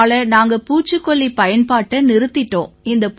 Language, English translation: Tamil, Accordingly, we have used minimum pesticides